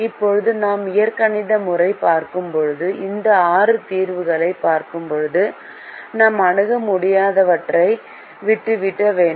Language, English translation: Tamil, now, when we look at the algebraic method and when we look at these six solutions, we have to leave out the infeasible ones